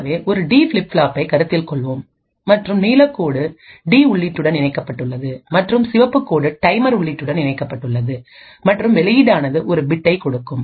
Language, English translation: Tamil, So, let us consider a D flip flop and what is done is that one of the lines let us say the blue line is connected to the D input and the Red Line is connected to the clock input and output is one bit which will give you either 0 or a 1